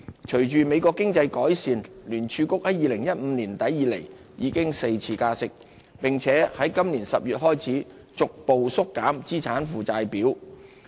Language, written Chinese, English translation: Cantonese, 隨着美國經濟改善，聯儲局自2015年年底以來已加息4次，並在今年10月開始逐步縮減資產負債表。, In view of the improvement in local economy the Federal Reserve has raised interest rates for four times since the end of 2015 and it began scaling back its balance sheet in October this year